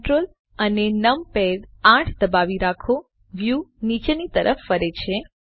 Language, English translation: Gujarati, Hold Ctrl numpad 8 the view pans downwards